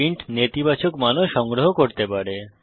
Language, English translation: Bengali, int can also store negative values